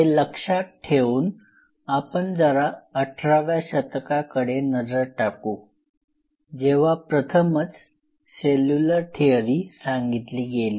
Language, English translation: Marathi, So, keeping this mind, let us go little back to 18th century, when the cellular theory was which was given